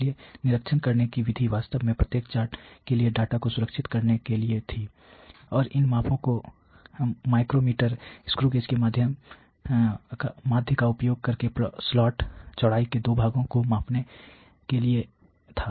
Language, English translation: Hindi, So, the method to inspect was really to secure the data for each chart and was to measure to measure the 2 portions of the slots width using micro meters screw gauge average these measurements